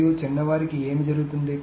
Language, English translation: Telugu, And what happens to the younger ones